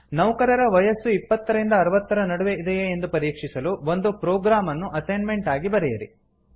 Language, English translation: Kannada, As an assignment, Write a program to check whether the age of the employee is between 20 to 60